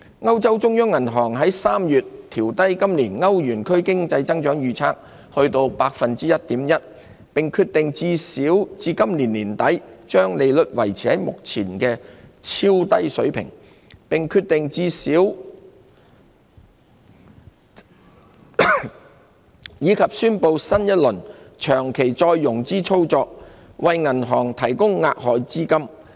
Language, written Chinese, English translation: Cantonese, 歐洲中央銀行3月調低歐元區今年經濟增長的預測至 1.1%， 並決定把利率維持在目前的超低水平至最少今年年底，以及宣布新一輪長期再融資操作，為銀行提供額外資金。, The European Central Bank ECB in March revised downwards its outlook for economic growth in the Eurozone this year to 1.1 % and decided that its interest rates will remain at their present ultra - low levels at least through the end of this year . ECB also announced a new series of longer - term refinancing operations to provide additional liquidity to banks